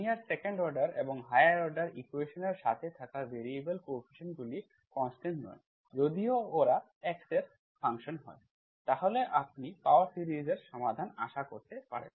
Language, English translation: Bengali, So what we do is, when there are linear equations with variable coefficients, if the coefficients of the linear second order higher order equations are functions of x, there are not constants, then you can expect power series solutions